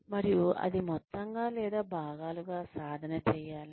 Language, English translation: Telugu, And whether, it should be practiced as a whole, or in parts